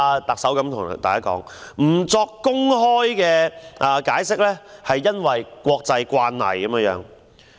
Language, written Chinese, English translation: Cantonese, 特首還對大家說，不作公開解釋是國際慣例。, The Chief Executive said that giving no explanation was an international practice